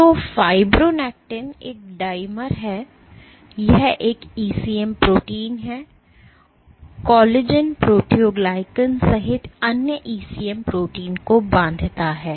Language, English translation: Hindi, So, fibronectin is a dimmer, it is a ECM protein, it binds to other ECM proteins including collagen proteoglycans